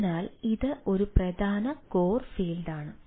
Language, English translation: Malayalam, so this is one of the important core field